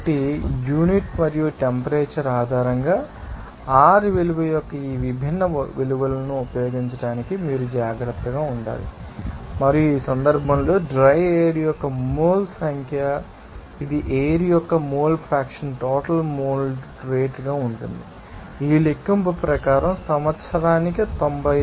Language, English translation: Telugu, So, you have to you know, be, careful to use these different values of R value based on the unit and temperature is given to you, and in that case number of moles of dry air, it will be simply that, you know, mole fraction of air into total mold rate is given year 96